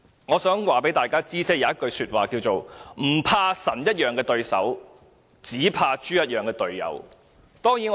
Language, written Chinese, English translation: Cantonese, 我想告訴大家，有一句話說"不怕神一樣的對手，只怕豬一樣的隊友"。, As the saying goes fear not god - like opponents but fear pig - like teammates there are certainly quite a few pig - like teammates in this Council